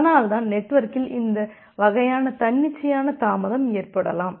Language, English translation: Tamil, And that is why there can be this kind of arbitrary delay in the network